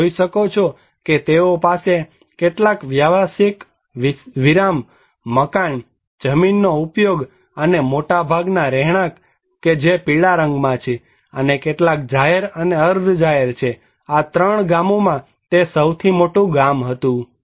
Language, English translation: Gujarati, You can see, they have some commercial stops, building, land use and most of the residential yellow and some public and semi public, it was the biggest village among these 3 villages